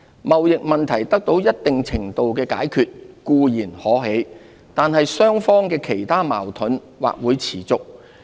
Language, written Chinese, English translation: Cantonese, 貿易問題得到一定程度的解決固然可喜，但雙方的其他矛盾或會持續。, While it would be encouraging if the trade issue could be resolved to some extent their deep - rooted differences may remain